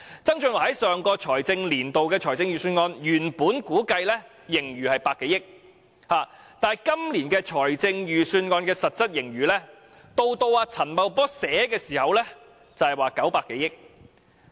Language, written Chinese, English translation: Cantonese, 曾俊華在上個年度的預算案中，原估計今年盈餘有100多億元，但今年的實質盈餘到了陳茂波撰寫預算案時已有900多億元。, In the Budget last year John TSANG estimated that the surplus this year would be around 10 billion . But the actual surplus this year already amounted to some 90 billion by the time Paul CHAN was drafting this Budget